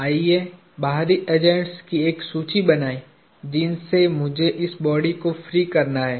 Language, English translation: Hindi, Let us make a list of external agents that I have to free this body off